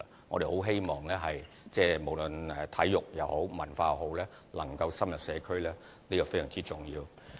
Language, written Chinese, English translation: Cantonese, 我們很希望無論體育也好、文化也好，能深入社區，這是非常重要的。, We very much hope that sports or cultural activities can be well promoted in the community and this is very important